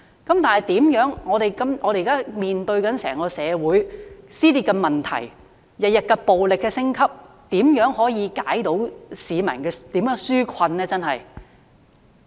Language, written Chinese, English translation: Cantonese, 可是，現時面對整個社會撕裂的問題，暴力每天升級，怎樣才可以為市民紓困呢？, However in the face of the rift in the entire society with violence escalating every day how can peoples burden be relieved?